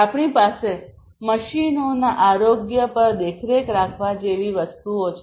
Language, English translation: Gujarati, We have things like monitoring the health of the machines